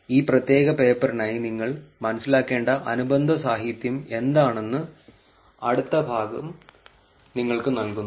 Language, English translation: Malayalam, Next part gives you sense of what the related literature is, that you need to understand for this particular paper